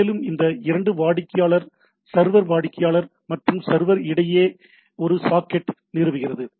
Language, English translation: Tamil, And that establishes a socket between these two client server client and server